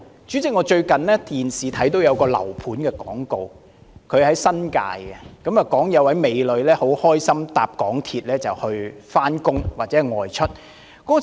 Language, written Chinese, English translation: Cantonese, 主席，我最近在電視上看到一個新界樓盤的廣告，廣告中有位美女很開心地乘搭港鐵上班或外出。, President I recently saw on television a commercial touting a property development in the New Territories . It featured a beautiful lady happily commuting or journeying on MTR trains